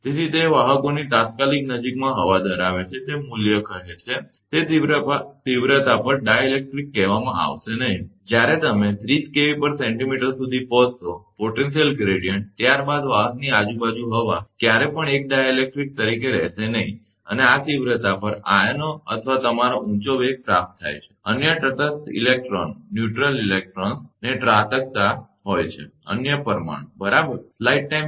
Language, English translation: Gujarati, But, when the electric field intensity or potential gradient reaches the critical value say, 30 kV per centimeter therefore, value it have the air in the immediate vicinity of conductors, no more remains say, dielectric at that intensity then when, you reaches to 30 kilometer kV per centimeter, the potential gradient, then air surrounding the conductor, will never remain as a dielectric and at this intensity, the ions or your attain high velocity right and striking other neutral electrons, molecule the other right